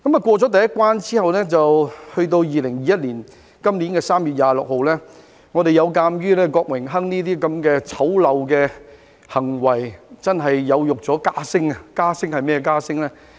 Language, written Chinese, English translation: Cantonese, 過了第一關後，到2021年3月26日，我們有鑒於郭榮鏗那些醜陋的行為，真的有辱家聲，是甚麼家聲呢？, After the first hurdle by 26 March 2021 we had seen that the ugly behaviour of Dennis KWOK was really degrading to the familys reputation . What familys reputation am I talking about?